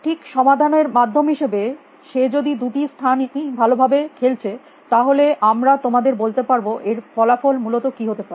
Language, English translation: Bengali, Just as by solved mean that if both the place are playing perfectly we can tell you what the outcome will be essentially